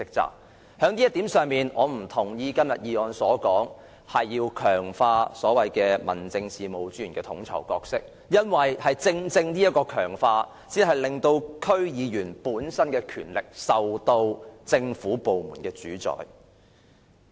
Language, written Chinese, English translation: Cantonese, 就這一點，我不贊同今天的議案中強化民政事務專員的統籌角色的建議，因為正正是這種強化，令區議員的權力受政府部門主宰。, On this count I do not agree with the proposed strengthening of the coordinating role of District Officers in todays motion because such strengthening would allow the Government to control or dictate the powers of DC members